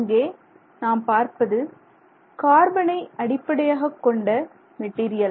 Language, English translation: Tamil, So, here you are looking at carbon based material, so the element is the same